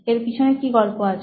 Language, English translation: Bengali, What is the story about